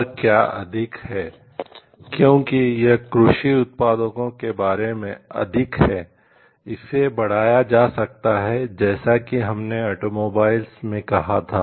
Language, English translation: Hindi, More so like this is more attached to agricultural products, but it can be extended as we told in automobiles